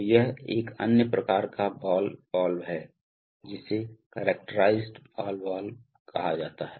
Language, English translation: Hindi, So these are, this is another kind of ball valve called the characterized ball valve